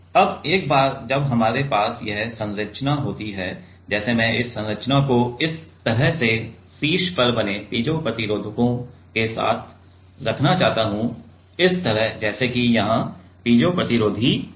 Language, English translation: Hindi, Now, once we have this structure with like I want to have this structure with piezo resistors made on the top like this, let us say here the piezo resistors are made